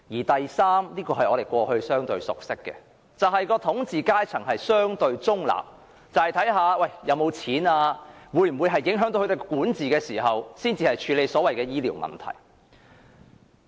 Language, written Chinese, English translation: Cantonese, 第三，是我們過去相對熟悉的做法，亦即統治階層相對中立，視乎有沒有金錢及會否影響他們的管治，才會處理醫療問題。, Thirdly under the past approach with which we are relatively familiar the rulers would take a relatively neutral stance in deciding if they should handle various health care problems depending on the availability of financial resources and whether their governance would be affected